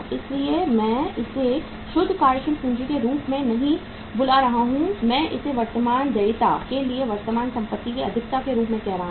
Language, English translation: Hindi, That is why I am not calling it as the net working capital I am calling it as the excess of current asset to current liability